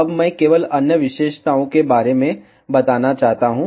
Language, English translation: Hindi, Now, I just want to tell about the other features